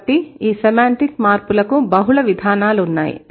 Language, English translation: Telugu, So, this semantic change, it has multiple mechanisms